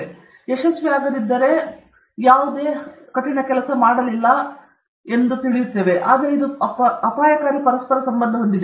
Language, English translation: Kannada, If it is not successful, there is no hard work, but this is a dangerous correlation